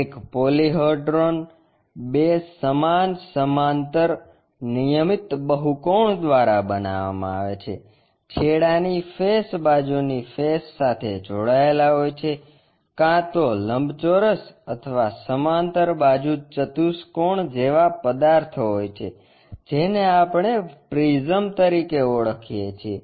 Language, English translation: Gujarati, A polyhedra formed by two equal parallel regular polygons, end faces connected by side faces which are either rectangles or parallelograms such kind of objects what we call as prisms